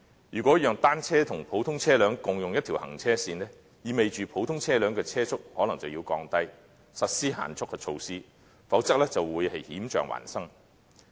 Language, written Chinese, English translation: Cantonese, 如果讓單車和普通車輛共用一條行車線，意味着普通車輛的車速可能要降低，並實施限速的措施，否則便會險象環生。, If ordinary vehicles and bicycles are allowed to share a traffic lane it means that ordinary vehicles will have to slow down and speed limit measures will have to be implemented as well or else dangerous situations will arise